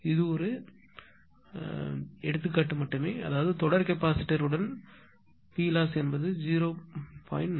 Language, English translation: Tamil, 0 this is just an understanding; that means, Ploss with series capacitor will be it is V is equal to 0